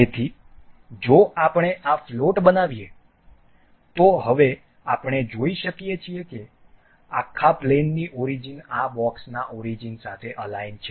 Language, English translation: Gujarati, So, if we make this float, now we can see the origin of the whole plane is aligned with this origin of this box